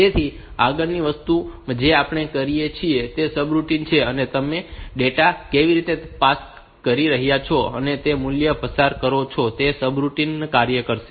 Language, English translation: Gujarati, So, next thing that we do is a subroutine how are you passing data, passing the value on which the subroutine will operate